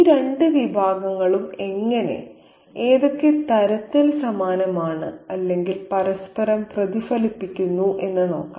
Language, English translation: Malayalam, And let's see how and in what ways are these two categories similar or mirror each other